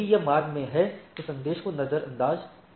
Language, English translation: Hindi, If it is AS in the path ignored the message right